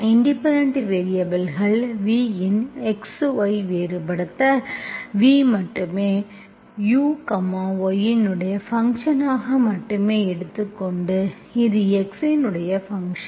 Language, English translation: Tamil, v of x, y, you are differentiating, v is only you, you are taking as only function of y, it is not function of x, okay